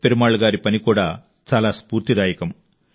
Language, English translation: Telugu, Perumal Ji's efforts are exemplary to everyone